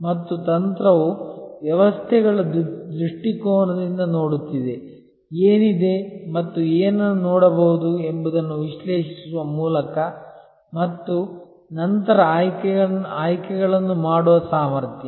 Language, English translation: Kannada, And strategy therefore, is seeing from a systems perspective, the ability to see what is and what could be by analyzing what if's and then make choices